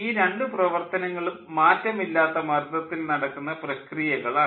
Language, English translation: Malayalam, both the processes are a constant pressure process